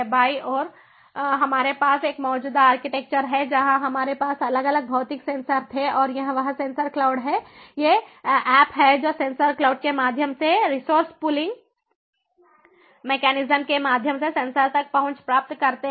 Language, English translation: Hindi, so where we had these different physical sensors and this is that sensor cloud and these apps are getting access to that, to the sensors through the sensor cloud, through resource pooling mechanisms